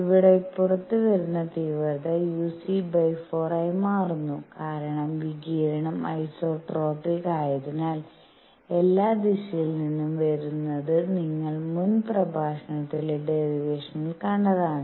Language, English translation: Malayalam, In this case, the intensity coming out becomes uc by 4 because the radiation is isotropic its coming from all direction as you saw in the derivation in the previous lecture